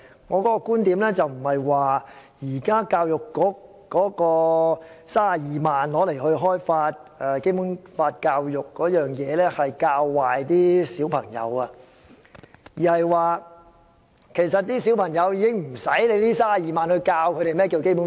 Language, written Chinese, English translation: Cantonese, 我的意思並非教育局現時花32萬元開發《基本法》教育的資源會教壞小朋友，而是根本無需花這32萬元教導小朋友何謂《基本法》。, I do not mean that the resources developed by the Education Bureau for Basic Law education with this 320,000 at present are misleading to our children . I rather think that it is simply unnecessary to spend this 320,000 on teaching children about the Basic Law